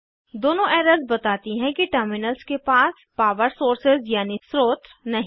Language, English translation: Hindi, Both errors say that the terminals have no power sources